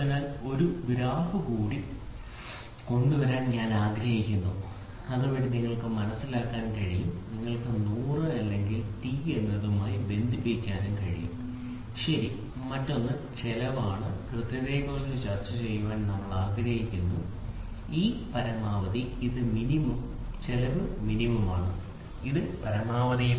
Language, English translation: Malayalam, So, I would like to bring in one more graph, so that you can appreciate, you can be with respect to you can put it as with respect to 100 or t, ok, the other one is we wanted to discuss about cost versus accurate, this is maximum, this is minimum, this is, cost is minimum and this is maximum